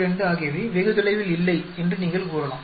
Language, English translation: Tamil, 42 is not very far away